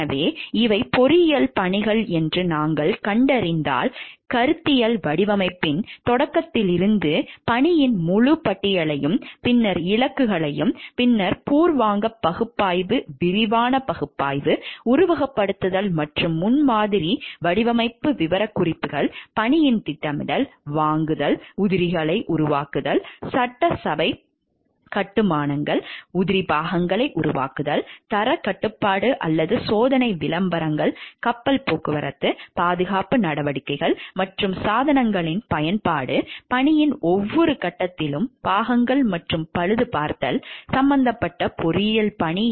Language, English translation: Tamil, So, what we find these are the engineering tasks and if you see this is a whole list of task from the start of conceptual design then goals, and then preliminary analysis, detailed analysis, simulations and prototyping design specifications, scheduling of task purchasing fabrication of parts, assembly constructions, quality control or testing, advertising, shipping, safety measures and devices use, maintenance of parts and repairs at each and every stages of the task engineering task involved